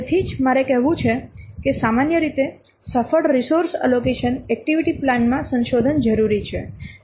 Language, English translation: Gujarati, That's why I have to say that usually the successful resource allocation often necessitates revisions to the activity plan